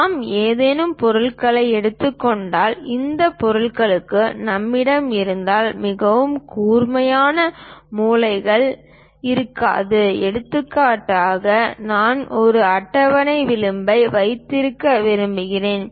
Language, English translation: Tamil, If we are taking any objects, these objects may not have very sharp corners something like if we have for example, I would like to have a table edge